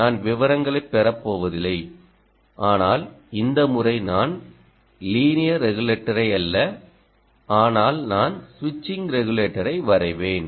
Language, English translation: Tamil, i would say i would not going to get details, but this time i will draw not the linear regulator, but i will draw the switching regulator